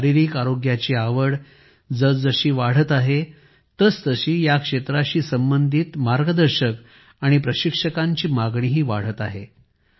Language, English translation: Marathi, The way interest in physical health is increasing, the demand for coaches and trainers related to this field is also rising